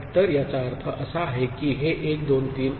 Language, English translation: Marathi, So, that means this is 1 2 3